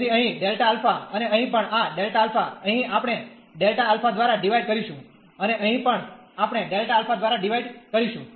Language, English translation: Gujarati, So, here delta alpha, and here also this delta alpha, here we will divide by delta alpha, and here also we will divide by delta alpha